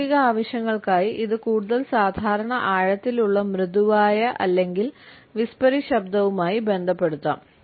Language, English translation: Malayalam, For practical purposes it could be associated with more normal deep soft or whispery voice